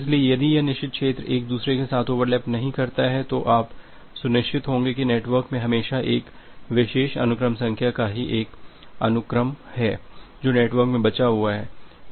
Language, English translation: Hindi, So, if this forbidden region do not overlap with each other, you will be sure that, there is always a single instances of a particular sequence number outstanding in the network